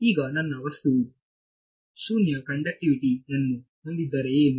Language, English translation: Kannada, Now, what if my material also has non zero conductivity